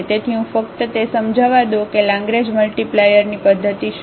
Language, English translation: Gujarati, So, let me just explain that what is the method of Lagrange multiplier